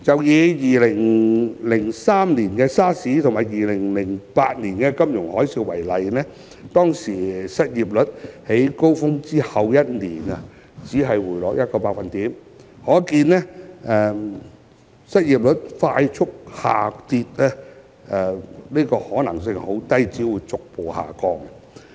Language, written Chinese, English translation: Cantonese, 以2003年的 SARS 及2008年的金融海嘯為例，當時失業率在高峰後一年只回落約1個百分點，可見失業率快速下跌的可能性很低，只會逐步下降。, Take the SARS outbreak in 2003 and the financial tsunami in 2008 for instance . The unemployment rate has only dropped by about 1 % a year after reaching a peak . This shows that it is very unlikely to see a drastic drop in unemployment rate